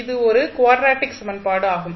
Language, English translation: Tamil, This is a linear equation